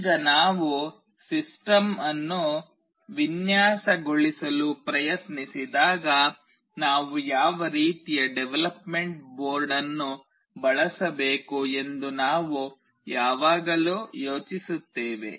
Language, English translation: Kannada, Now when we try to design a system, we always think of what kind of development board we should use